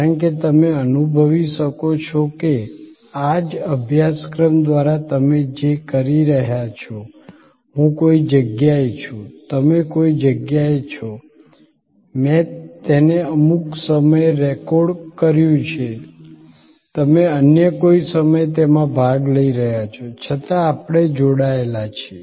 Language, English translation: Gujarati, Because, you can realize that, through this very course that you are doing, I am at some place, you are at some place, I have recorded it in some point of time, you are participating it in some other point of time, yet we are connected